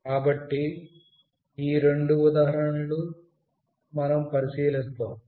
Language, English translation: Telugu, So, these are the two examples that we will look into